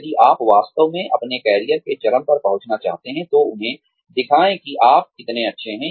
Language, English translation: Hindi, If you really want to reach the peak of your career, show them, how good you are